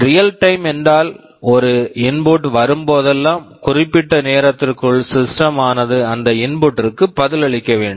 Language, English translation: Tamil, Real time means, whenever an input comes, within some specified time the system should respond to that input